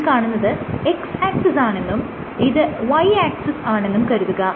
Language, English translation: Malayalam, So, let me say this is x and this is y axis